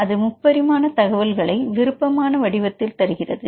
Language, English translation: Tamil, So, it is giving the 3D information in the two dimensional form